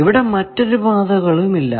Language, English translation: Malayalam, You see, there are no other paths here